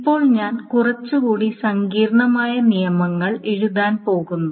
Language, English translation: Malayalam, are now I am going to write down a little bit more complicated rules